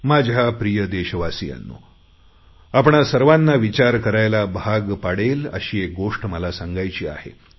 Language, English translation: Marathi, My dear fellow citizens, I now wish to talk about something that will compel us all to think